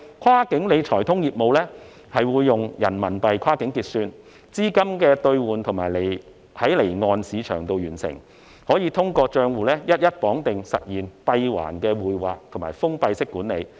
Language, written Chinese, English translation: Cantonese, "跨境理財通"業務會用人民幣跨境結算，資金兌換在離岸市場完成，有關的資金可以通過帳戶一一綁定實現閉環匯劃及封閉管理。, Under Wealth Management Connect settlement will be carried out in Renminbi RMB with currency conversion conducted in the offshore markets . The relevant funds can be remitted and managed in a closed - loop through the bundling of designated remittance and investment accounts